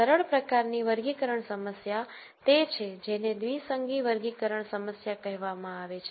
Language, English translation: Gujarati, The simpler type of classification problem is what is called the binary classification problem